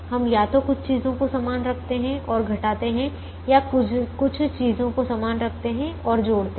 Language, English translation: Hindi, we we either keep certain things fixed and subtract, or keep certain things fixed and add